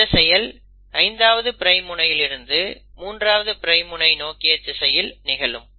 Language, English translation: Tamil, And that happens from 5 prime end to 3 prime end